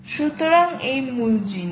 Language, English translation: Bengali, this is the key thing